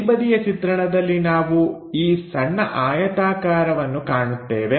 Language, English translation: Kannada, On top view, we will be definitely seeing this small rectangle